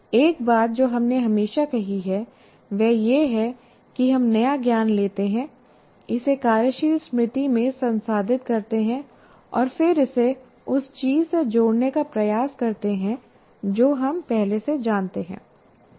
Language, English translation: Hindi, One of the things we always said, we build our new, we take the new knowledge, process it in the working memory, and then try to link it with what we already knew